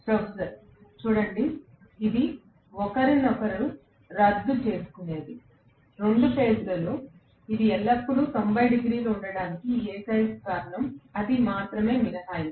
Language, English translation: Telugu, Professor: See, it would have cancelled out each other that is the only reason why in 2 phase it is always 90 degrees, that is the only exception